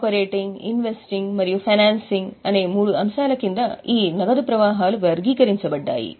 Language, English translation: Telugu, Further, it categorizes the flows under the three heads that is operating, investing and financing